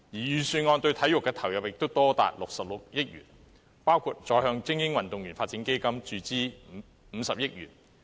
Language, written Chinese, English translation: Cantonese, 預算案對體育的投入也多達66億元，包括再向精英運動員發展基金注資50億元。, The input for sports in the Budget has reached 6.6 billion including the injection of an additional 5 billion into the Elite Athletes Development Fund